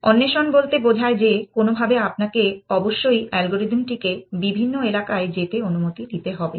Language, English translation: Bengali, Exploration simply says that somehow you must allow the algorithm to go into different areas